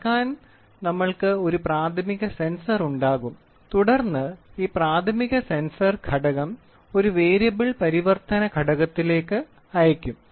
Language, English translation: Malayalam, So, we will have a primary sensor to measure and then this primary sensor element whatever is there it then it is sent to a Variable Conversion Element